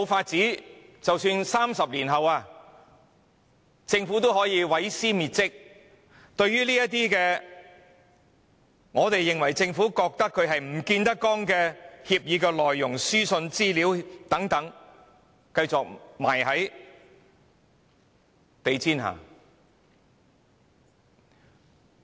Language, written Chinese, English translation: Cantonese, 即使在30年後，政府依然可以毀屍滅跡，把這些政府認為見不得光的協議或書信繼續藏在地毯下。, In that case the Government can eliminate all information even after 30 years and sweep all agreements and correspondence that have to be kept secret under the carpet